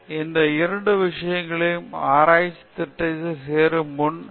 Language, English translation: Tamil, So, these two things are the basic things before you are joining at research program